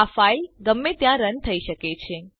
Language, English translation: Gujarati, This file can run anywhere